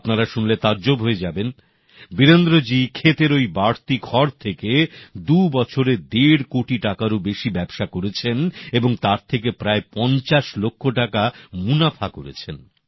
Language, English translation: Bengali, You will be amazed to know that in just two years, Virendra ji has traded in stubble in excess of Rupees Two and a Half Crores and has earned a profit of approximately Rupees Fifty Lakhs